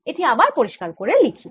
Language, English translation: Bengali, lets write this again